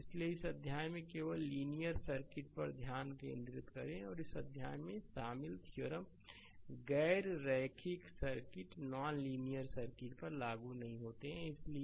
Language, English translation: Hindi, So, in this chapter you concentrate only linear circuit and theorems covered in this chapter are not applicable to non linear circuits so, let me clear it right